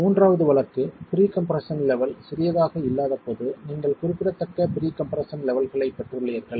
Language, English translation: Tamil, The second case is when the pre compression levels are not too small, the pre compression levels are moderate levels of pre compression